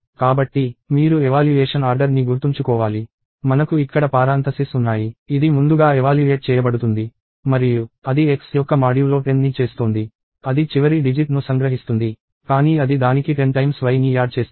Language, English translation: Telugu, So, you remember the evaluation order; we have parenthesis here; this will be evaluated first; and that is doing modulo 10 of x; that extracts the last digit, but it adds it to 10 times y